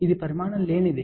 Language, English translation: Telugu, It was a dimensionless